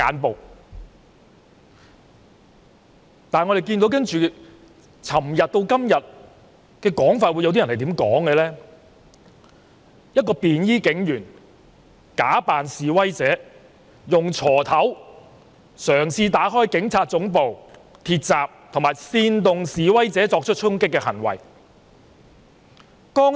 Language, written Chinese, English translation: Cantonese, 然而，由昨天到今天，有些人竟然說一位便衣警員假扮示威者，用鋤頭嘗試打開警察總部的鐵閘，以及煽動示威者作出衝擊的行為。, Some continued to flash his eyes with laser pointers . However from yesterday to today some people blatantly said that a plainclothes police officer disguised as a protester attempted to break open the gate of the Police Headquarters with a hoe and incite the protesters to launch charging acts